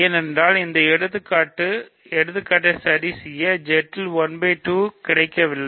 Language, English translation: Tamil, That is because 1 by 2 is not available in Z to do this example ok